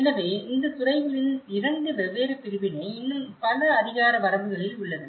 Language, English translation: Tamil, So, this is the two different separation of these departments are still existing in many of the jurisdictions